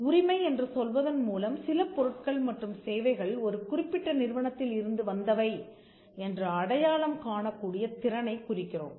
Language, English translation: Tamil, By ownership we mean the ability to identify that, certain goods and services came from a particular entity